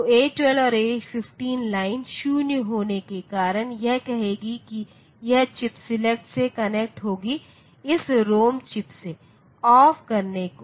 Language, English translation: Hindi, So, A12 and A15 the lines being 0 will say that this will connect to the chip select off this ROM chip